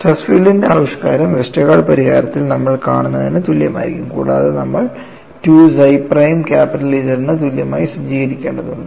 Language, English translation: Malayalam, The expression of stress field would be same as what you see in the Westergaard solution and you will also have to set 2 psi prime equal to capital Z